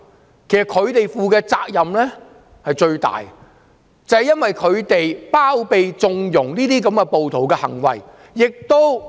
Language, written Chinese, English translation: Cantonese, 事實上，他們應該負上最大的責任，因為他們包疪、縱容暴徒的行為。, As a matter of fact they should bear the largest responsibility as they are conniving at and harbouring rioters misdeeds